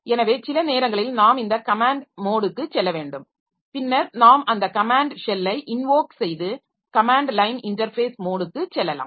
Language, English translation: Tamil, So sometimes we need to go to this command mode and then we can invoke that command shell and go to the command line interface mode